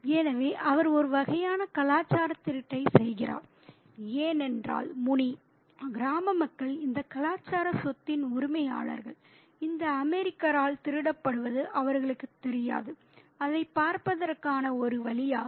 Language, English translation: Tamil, So, he does a sort of a cultural thieving because Muni and the people of the village are the owners of this cultural property and they do not know that is being stolen by this American